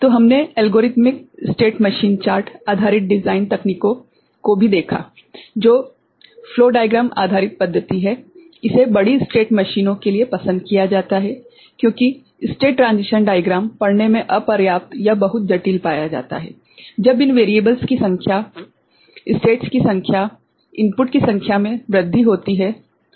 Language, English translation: Hindi, So, we also saw algorithmic state machine chart based design techniques, which is a flow diagram based method, it is preferred for larger state machines, because state transition diagram is found inadequate or very complex to read when the number of these variables, number of states, number of inputs increase ok